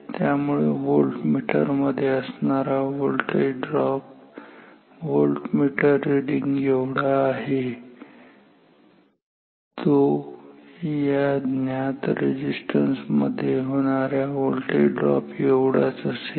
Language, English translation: Marathi, Therefore, the voltage drop across the voltmeter is almost same as the voltage drop across this resistance ok